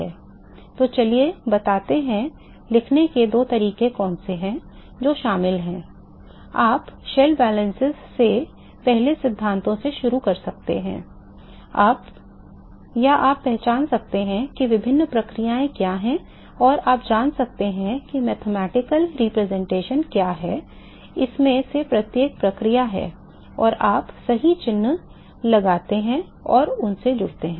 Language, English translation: Hindi, So, let us say what are the process is which are involved remember that 2 ways of writing, you can start from first principles from shell balances or you can identify, what are the different processes and you can you know what is the mathematical representation of each of these process is, and you put the correct sign and join them